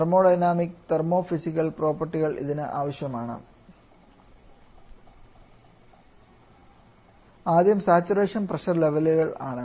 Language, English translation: Malayalam, One kind of properties of a thermodynamic and thermos physical properties and their first is the saturation pressure levels